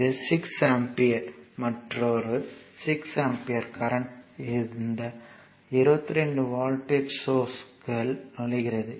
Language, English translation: Tamil, Now, next is this 6 ampere, another 6 ampere current entering into this 22 volt source